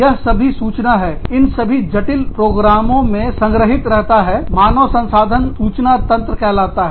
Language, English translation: Hindi, All that data is stored, in these very complex programs called, human resource information systems